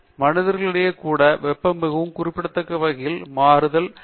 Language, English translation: Tamil, And itÕs possible even among human beings temperatures can vary quite significantly, but the means can be the same